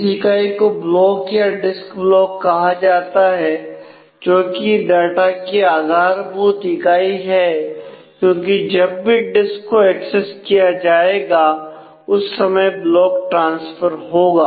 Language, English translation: Hindi, There is some unit called a block or disk block, which is a basic unit of data that will be transferred every time you access the disk